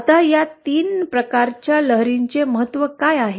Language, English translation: Marathi, Now what are the significances of these 3 types of waves